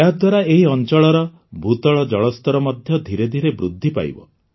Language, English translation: Odia, This will gradually improve the ground water level in the area